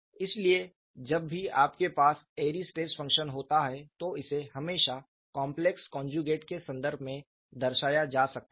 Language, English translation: Hindi, So, whenever you have an Airy's stress function, it can always be represented in terms of complex potentials, how they are represented